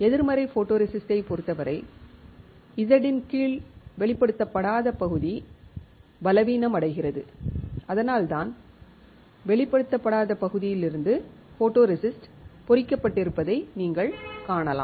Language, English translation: Tamil, In this case negative photoresist the area which is not exposed this area under Z the area which is not exposed gets weaker that is why you can see that photoresist from the area which was not exposed is etched is removed